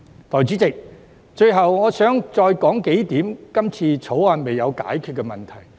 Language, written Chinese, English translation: Cantonese, 代理主席，最後，我想再提出幾點《條例草案》尚未解答的問題。, Deputy President lastly I would like to raise a few more questions that have not yet been answered by the Bill